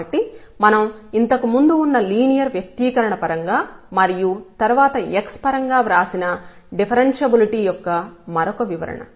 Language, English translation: Telugu, So, this is another interpretation of the differentiability we have written earlier in terms of that linear expression and then epsilon delta x